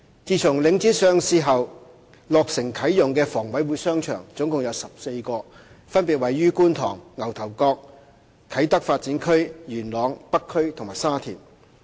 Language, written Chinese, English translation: Cantonese, 自從領展上市後，落成啟用的房委會商場共有14個，分別位於觀塘、牛頭角、啟德發展區、元朗、北區和沙田。, Since the listing of Link REIT HA has seen the commissioning of a total of 14 shopping arcades in Kwun Tong Ngau Tau Kok the Kai Tak Development Area Yuen Long the North District and Sha Tin separately